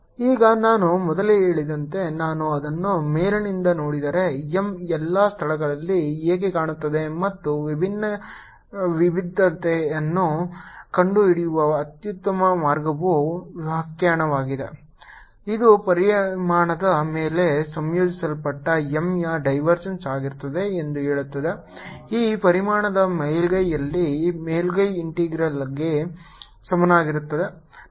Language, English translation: Kannada, now, if i look at it from the top, as i said earlier, this is how m looks all over the place and best way to find divergence is using its definition, which says that divergence of m integrated over a volume is going to be equal to the surface integral over the surface of this volume